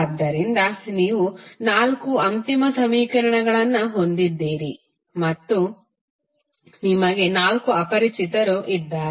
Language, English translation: Kannada, So, you have four final equations and you have four unknowns